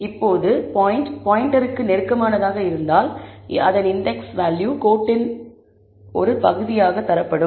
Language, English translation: Tamil, Now, if the point is close enough to the pointer, its index will be returned as a part of the value code